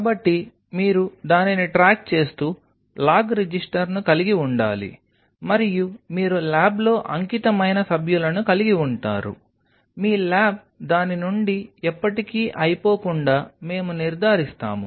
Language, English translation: Telugu, So, you have to have log register keeping track of it and you have dedicated members of the lab, we will ensure that your lab never runs out of it